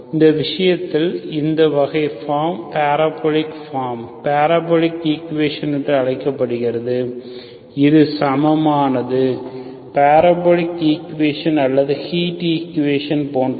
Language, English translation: Tamil, And this case, this kind of form is called parabolic form, parabolic equation, this is equal, similar to parabolic equation or heat equation